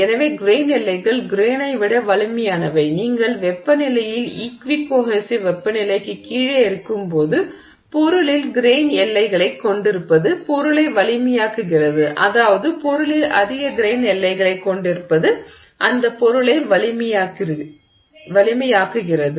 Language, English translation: Tamil, So, grain boundaries are stronger than the grain when you are at temperatures below the equi cohissive temperature and therefore having grain boundaries in the material makes the material stronger